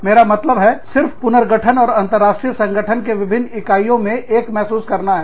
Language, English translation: Hindi, So, i mean, just a restructuring, and a feeling of being one, with all the different units, of an international organization